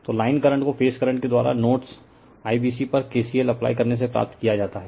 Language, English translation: Hindi, So, line currents are obtained from the phase current by applying KCL at nodes IBC